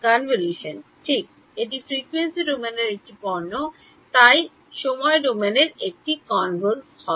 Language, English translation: Bengali, Convolution right this is a product in frequency domain, so in time domain it is convolution